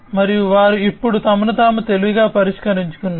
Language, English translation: Telugu, And they have now also transformed themselves into smarter solutions